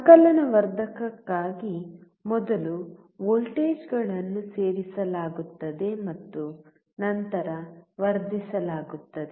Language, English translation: Kannada, For summation amplifier, first voltages are added and then amplified